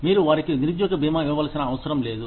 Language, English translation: Telugu, You do not need to give them, unemployment insurance